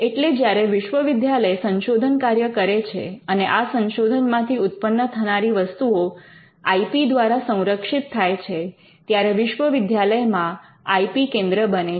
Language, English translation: Gujarati, So, if the university engages in research and the research and the products of the research can be protected by IP, then the university requires an IP centre